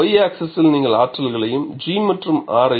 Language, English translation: Tamil, On the y axis, you plot the energies G as well as R